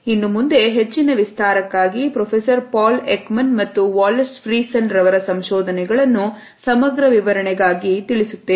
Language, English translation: Kannada, Now, for further elaboration I have included the findings of Professor Paul Ekman and Wallace Friesen for a more comprehensive explanation